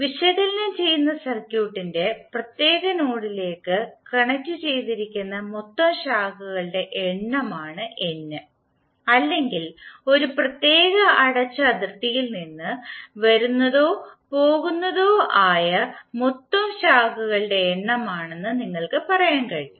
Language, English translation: Malayalam, What is N, N is the total number of branches connected to that particular node where we are analysing the circuit or you can say that it is total number of branches coming in or out from a particular closed boundary